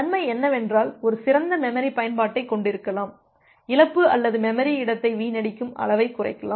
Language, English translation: Tamil, The advantage is that you can have a better memory utilization, you can reduce the amount of loss or amount of memory space wastage